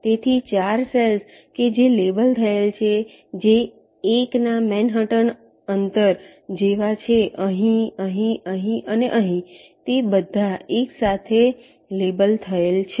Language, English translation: Gujarati, so the four cells which are labeled, which are like a manhattan distance of one, are here, here, here and here they are all labeled with one